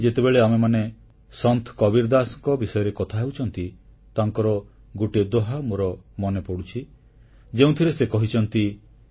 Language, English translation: Odia, Since we are referring to Sant Kabir Das ji, I am reminded of a doha couplet in which he says,